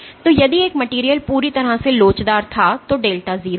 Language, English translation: Hindi, So, if a material was perfectly elastic then delta is 0